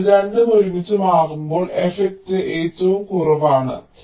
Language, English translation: Malayalam, so when both are switching together the effect is the least